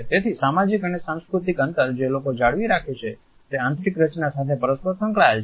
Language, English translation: Gujarati, So, social and cultural distances which people maintain are interrelated with interior designs